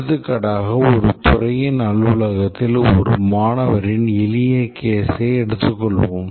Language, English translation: Tamil, For example, let's just take a simple case of a student in the office of a department the students can take leave